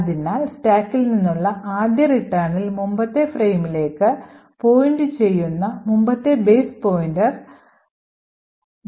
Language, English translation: Malayalam, So, on the first return from the stack the previous base pointer which is pointing to the previous frame gets loaded into the base pointer and therefore we would get the new fact frame